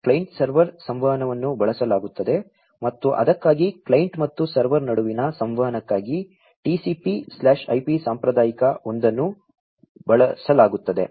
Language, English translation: Kannada, So, client server communication is used and for that a TCP/IP conventional one is used for the communication with between the client and the server